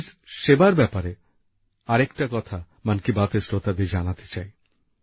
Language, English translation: Bengali, There is one more thing related to police service that I want to convey to the listeners of 'Mann Ki Baat'